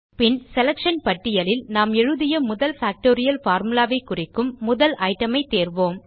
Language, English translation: Tamil, Then choose the first item in the Selection list denoting the first factorial formula we wrote